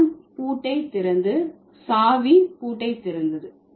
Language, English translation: Tamil, John open the lock and the key open the lock